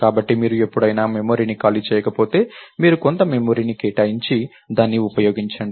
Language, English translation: Telugu, So, if you don't free up memory ever, so you use so you allocate some memory, you use it